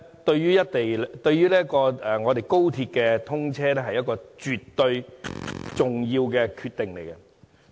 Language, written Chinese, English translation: Cantonese, 對高鐵通車來說，這是一個絕對重要的決定。, This is absolutely an important decision for the commissioning of XRL